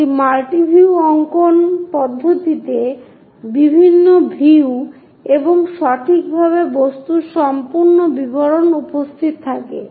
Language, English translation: Bengali, A multi view drawing having different views it accurately presence the object complete details